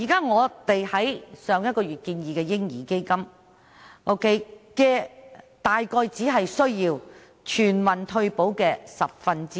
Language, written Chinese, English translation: Cantonese, 我們在上個月建議的"嬰兒基金"所需的資金約為全民退休保障的十分之一。, The baby fund we proposed last month will require around one tenth of the funding for universal retirement protection